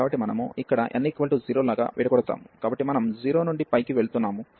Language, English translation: Telugu, So, we have broken here like n is equal to 0, so we are going from 0 to pi